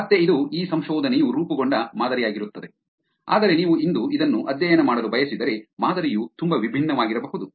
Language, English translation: Kannada, Again this will be a pattern that this research formed, but the pattern if you like to study this today, it may be very different also